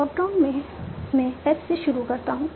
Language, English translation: Hindi, In top up I start with S